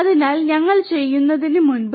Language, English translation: Malayalam, So, before we do